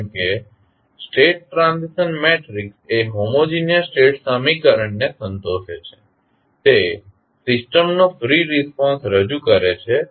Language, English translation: Gujarati, As the state transition matrix satisfies the homogeneous state equation it represent the free response of the system